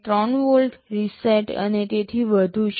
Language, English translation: Gujarati, 3 volt, reset and so on